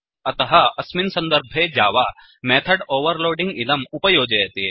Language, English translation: Sanskrit, So in such case java provides us with method overloading